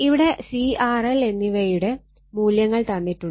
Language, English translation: Malayalam, So, C R L all values are given you substitute all this value